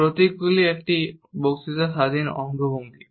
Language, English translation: Bengali, Emblems are a speech independent gestures